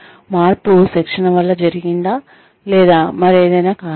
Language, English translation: Telugu, Is the change, due to the training, or is it, due to something else